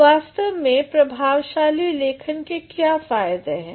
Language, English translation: Hindi, Now, what actually are the advantages of effective writing